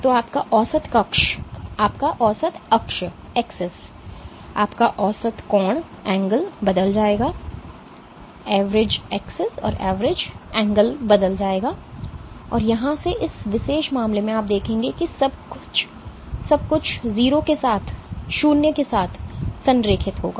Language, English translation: Hindi, So, your average axis, your average angle will change and from here in this particular case you will see that everything will align along 0